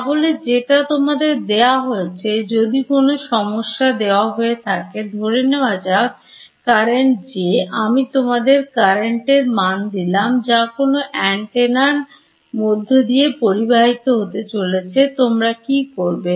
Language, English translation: Bengali, So, what is given to you is if any problem is given let us say the current J, I give you the current that is flowing in some antenna what can you do